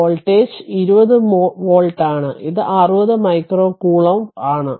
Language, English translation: Malayalam, And voltage is 20 volt, so it is 60 micro coulomb right